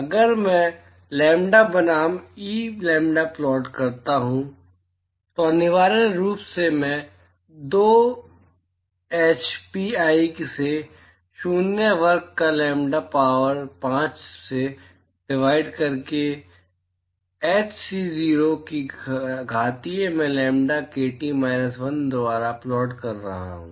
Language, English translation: Hindi, If I plot lambda versus E lambda,b essentially I am plotting 2 h pi C naught square divided by lambda power 5 into exponential of h c0 by lambda kT minus 1